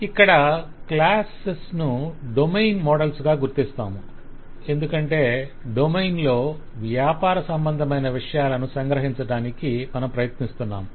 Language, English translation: Telugu, So here the classes are being identified as domain models because we are trying to capture what the domain has